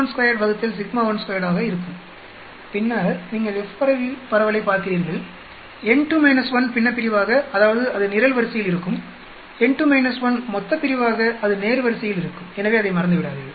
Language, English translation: Tamil, F will be s 1 square by s 2 square and then you look at F distribution n2 minus 1 as the numerator that means that will be on the column, n 2 minus 1 as the denominator that will be on the row so do not forget that